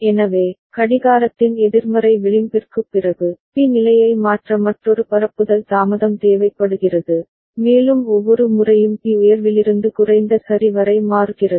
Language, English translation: Tamil, So, after the negative edge of the clock, so another propagation delay is required for B to change state, and B will toggle every time A changes from high to low ok